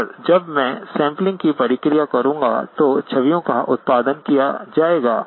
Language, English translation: Hindi, And when I do the sampling process, the images will be produced